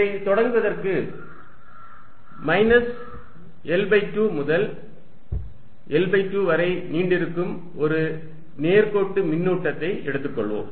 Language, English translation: Tamil, To start with, let us take a line charge extending from minus L by 2 to L by 2